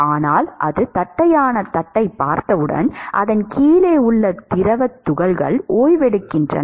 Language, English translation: Tamil, But then as soon as it sees the flat plate, the fluid particles below it has come to rest